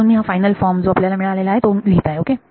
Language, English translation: Marathi, So, I will write down the final form that you get ok